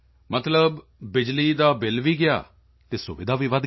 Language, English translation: Punjabi, Meaning, the electricity bill has also gone and the convenience has increased